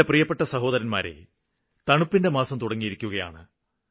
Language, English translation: Malayalam, My dear brothers and sisters, the winters are about to start